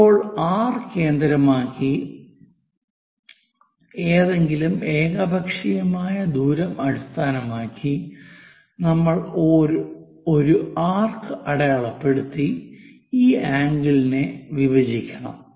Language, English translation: Malayalam, Now, based on this centre somewhere distance we just make an arc we have to bisect it